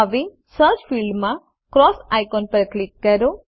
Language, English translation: Gujarati, Now, in the Search field, click the cross icon